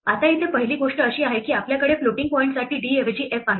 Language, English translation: Marathi, Now here first thing is that we have instead of d we have f for floating point